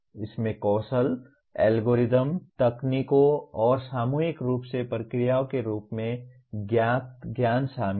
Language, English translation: Hindi, It includes the knowledge of skills, algorithms, techniques, and methods collectively known as procedures